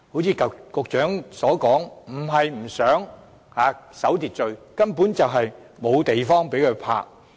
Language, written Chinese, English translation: Cantonese, 正如局長所說，它們不是不想守秩序，而是根本沒有地方可停泊。, As the Secretary has pointed out the problem lies not in a lack of willingness to observe the rule but a lack of parking spaces whatsoever